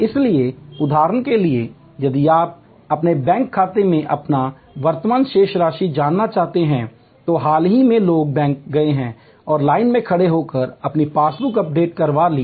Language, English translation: Hindi, So, for example, if you want to know your current balance at your bank account till very recently people went to the bank and stood in the line and got their passbook updated